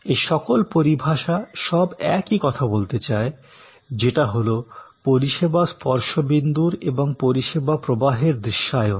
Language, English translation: Bengali, They all kind of connote the same approach, which is visualization of the service touch points and the service flow